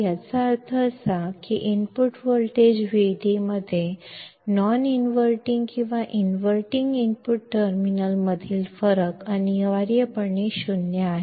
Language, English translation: Marathi, This means that the difference in input voltage Vd between the non inverting and inverting input terminals is essentially 0